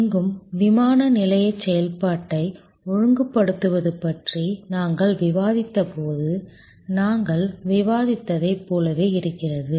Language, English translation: Tamil, Here again, it is almost similar to what we discussed when we were discussing about streamlining airport operation